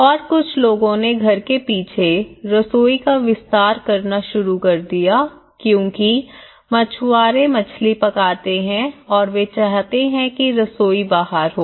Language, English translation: Hindi, And some people they started expanding the kitchens in the backyard because you know, fishermans they cook fish and they want the kitchen to be outside